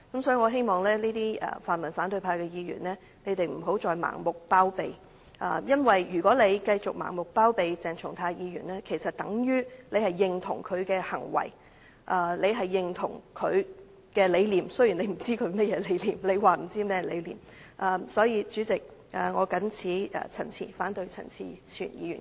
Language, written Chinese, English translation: Cantonese, 所以，我希望泛民反對派的議員不要再盲目包庇，因為如果他們繼續盲目包庇鄭松泰議員，其實等於認同他的行為、認同他的理念，雖然他們不知道他的理念為何或他們說不知道他的理念為何。, Therefore I hope that Members in the opposition pan - democratic camp will cease to blindly shield Dr CHENG Chung - tai because if they continue to blindly shield him it is actually tantamount to approving of his behaviour and identifying with his beliefs though they do not know what his beliefs are or they claim that they do not know what his beliefs are